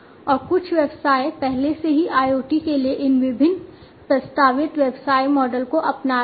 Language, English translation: Hindi, And some of the businesses are already adopting these different proposed business models for IoT